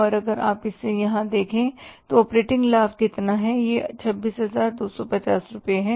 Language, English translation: Hindi, The difference is the operating profit and how much is the operating profit if you see here this is 26,250 rupees